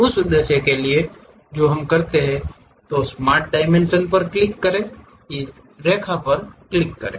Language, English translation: Hindi, For that purpose what we do is, click Smart Dimension, click this line